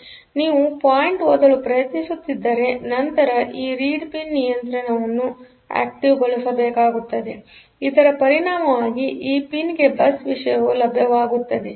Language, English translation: Kannada, So, if you are trying to read the point; then this control has to be enabled as a result this pin content will be available on to the bus